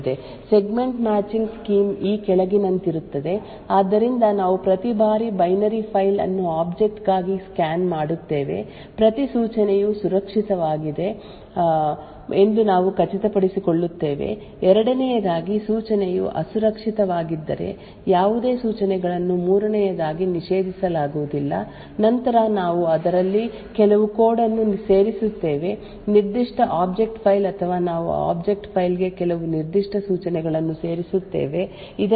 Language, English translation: Kannada, The scheme for Segment Matching is as follows so what we do is every time we scan the binary file for the object we ensure that every instruction is safe secondly none of the instructions are prohibited third if the instruction is unsafe then we add some code into that particular object file or we add some certain instructions into that object file, so as to ensure that there is some runtime checks